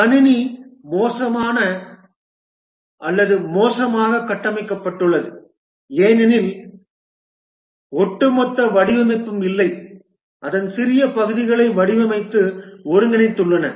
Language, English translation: Tamil, The system is poorly structured because there is no overall design made, it's only small parts that are designed and integrated